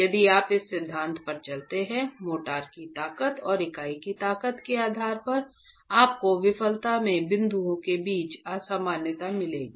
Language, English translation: Hindi, If you go by this theory depending on what the motor strength and the unit strengths are, you will get a disparity between the points of failure